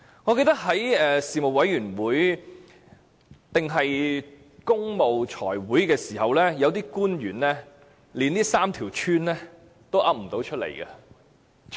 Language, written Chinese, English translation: Cantonese, 我記得在財務委員會會議時，有些官員連這3條村的名字也說不出來。, I remember that at a Finance Committee meeting some officials could not even say the names of these three villages